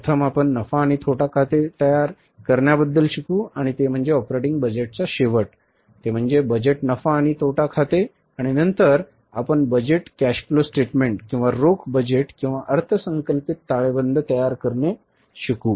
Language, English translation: Marathi, There is the budgeted profit and loss account and then we will learn about preparing the budgeted cash flow statement or the cash budget and then the budgeted balance sheet